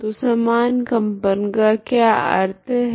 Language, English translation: Hindi, So what is a meaning of synchronized vibrations